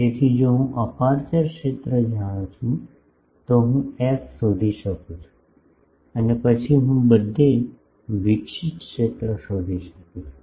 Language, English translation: Gujarati, So, if I know aperture field, I can find f and then I can find the radiated field everywhere